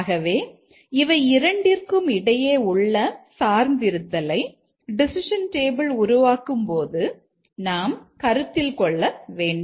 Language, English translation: Tamil, So, there is a dependency between these two and that we have to take care while developing the decision table